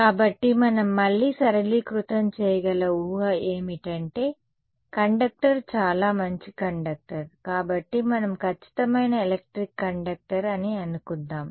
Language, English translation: Telugu, Right; so, again simplifying assumption we can make is that the conductor is a very very good conductor, let us so assume perfect electric conductor